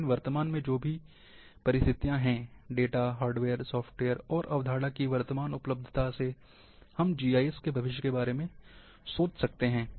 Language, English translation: Hindi, But, whatever the present circumstances, present availability of data, hardware, software, and concept we can think something about the future of GIS